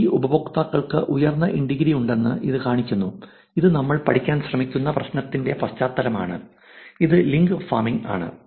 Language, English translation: Malayalam, It essentially shows that these users have high in degree which is the context of the problem that we trying to study which is link farming